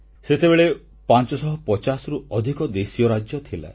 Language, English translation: Odia, There existed over 550 princely states